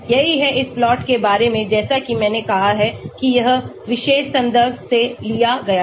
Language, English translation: Hindi, that is what this plot is all about as I said this is taken from this particular reference